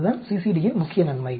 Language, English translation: Tamil, That is the main advantage of the CCD